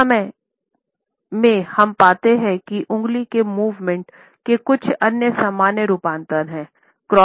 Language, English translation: Hindi, At the same time we find that there are certain other common variations of finger movements